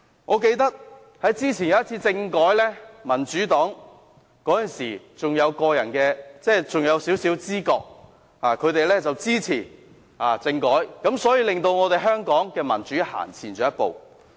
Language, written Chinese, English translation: Cantonese, "我記得之前有一次政改，民主黨那時還有少許知覺，支持政改，令香港的民主向前走了一步。, I remember that the Democratic Party once supported a constitutional reform package when it still had some consciousness thus taking Hong Kongs democracy a step further